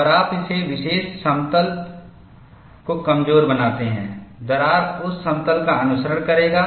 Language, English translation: Hindi, And you make this particular plane weak, the crack will follow that plane